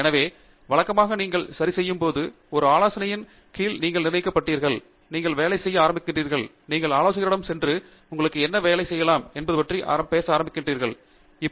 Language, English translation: Tamil, So, typically once you fix, once you are fixed under an advisor and you start working, you go to the advisor and start talking about what work is may be interesting to you